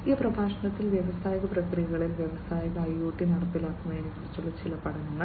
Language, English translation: Malayalam, Now, in this lecture, we will go through some of the case studies of the implementation of Industrial IoT in the industrial processes